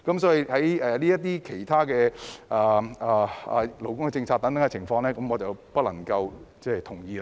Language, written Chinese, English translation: Cantonese, 所以，就陸議員修正案提出的勞工政策等問題，我不能夠同意。, Therefore I cannot agree to issues such as labour policies presented in Mr LUKs amendment